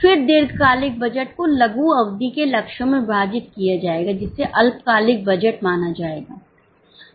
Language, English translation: Hindi, Then the long term budget will be divided into short term targets that will be considered as a short term budget